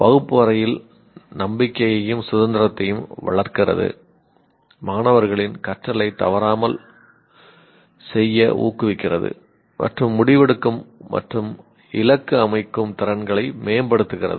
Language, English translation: Tamil, Fastest confidence and independence in the classroom encourages students to self regulate their learning, improves decision making and goal setting skills